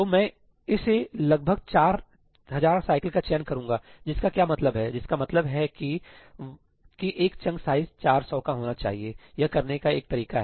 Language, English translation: Hindi, So, I will select this to be about 4000 cycles; which means what which means about a chunk size of 400, that is one way of doing it